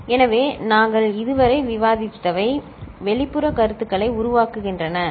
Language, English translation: Tamil, So, what we had discussed so far constitutes external feedback, ok